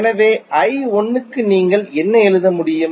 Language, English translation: Tamil, So, what you can write for I 1